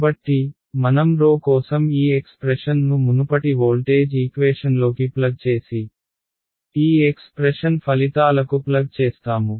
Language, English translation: Telugu, So, I plug this expression for rho into the previous voltage equation and outcomes this expression